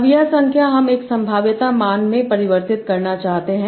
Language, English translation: Hindi, Now this number I want to convert to a probability value